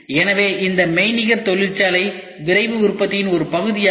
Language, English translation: Tamil, So, this virtual factory is also part of Rapid Manufacturing